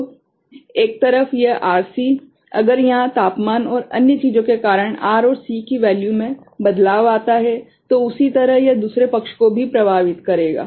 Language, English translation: Hindi, So, this RC at one side, if there is small you know variation of R and C because of temperature and another things, the same way it will affect the other side also